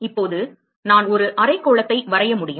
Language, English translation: Tamil, Now I can draw a hemisphere